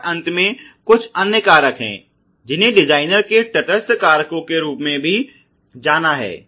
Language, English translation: Hindi, And finally, there are certain other factors which the designer has which are also known as neutral factors